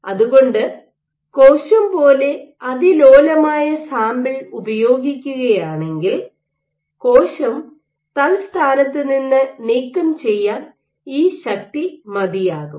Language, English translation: Malayalam, So, if you are working with a way delicate sample like a cell then, this force may be enough to dislodge the cell